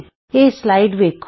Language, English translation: Punjabi, Look at this slide